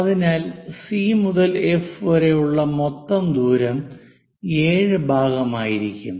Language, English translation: Malayalam, So, total distance C to F will be 7 part